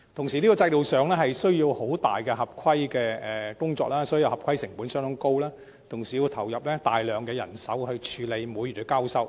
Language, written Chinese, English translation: Cantonese, 此外，這個制度需要很多合規工作，合規成本因而相當高，更要投入大量人手處理每月的交收。, In addition the system calls for extensive compliance work leading to a very high compliance cost and heavy manpower input to handle monthly transactions